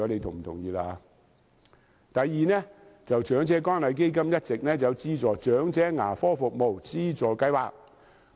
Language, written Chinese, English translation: Cantonese, 第二，長者關愛基金一直設有長者牙科服務資助計劃。, Second the Elderly Dental Assistance Programme has been set up under the Community Care Fund for elderly people